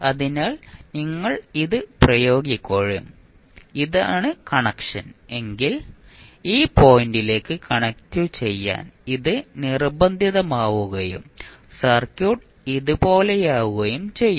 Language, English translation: Malayalam, So, if you apply this and this is the connection then it will be forced to connect to this particular point and your circuit would be like this